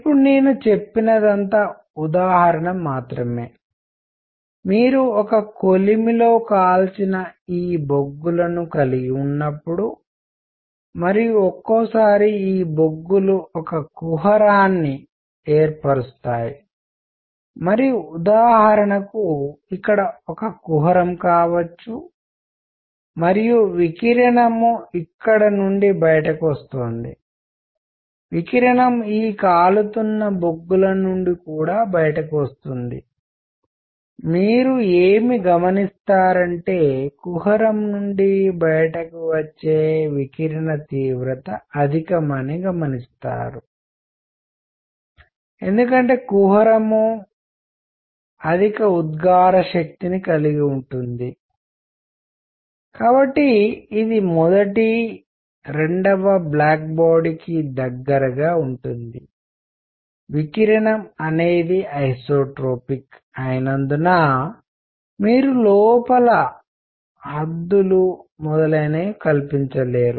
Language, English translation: Telugu, Whatever I said just now example is; when you have these coals which are burnt in a furnace and sometime these coals form a cavity and for example, here could be a cavity and radiation coming out of here, radiation also coming out of these burning coals, what you will notice that intensity of radiation coming out of the cavity is largest; why, because cavity has higher emissive power, it is closer to black body number 1